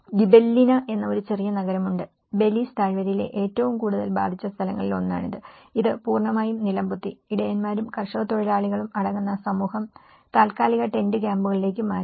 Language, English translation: Malayalam, There is a small city called Gibellina and this is one of the most affected places in the Belice Valley, which was completely razed to the ground and its community of shepherds and farm labourers relocated to the temporary tent camps